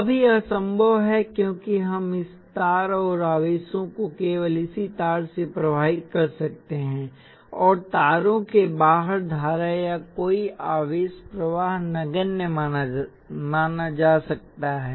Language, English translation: Hindi, Now this is possible, because we can have this wires and charges flow only through this wires and the current or any charge flow outside the wires can be considered to be negligible